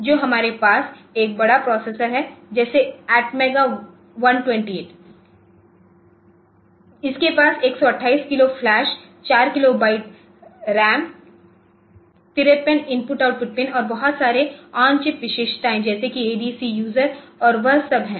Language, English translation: Hindi, So, this is a simplest possible processor that we have and the large one such as ATMEGA128 it has got 128 kilo flash 4 kilo byte over RAM 53 I O pins and lots of on chip features like adc user and all that